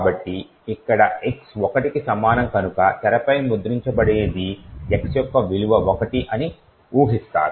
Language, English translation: Telugu, So, one would guess that since x is equal to one over here what would likely be printed on the screen is that the value of x is 1